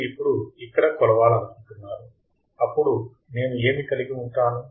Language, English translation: Telugu, You now want to measure here, then what will I have